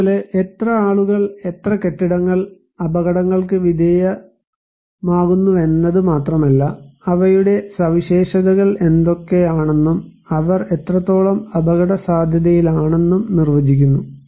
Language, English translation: Malayalam, Like, it is not only that how many people, how many buildings are exposed, but what are their characteristics, what are their features also define that what extent they are potentially at risk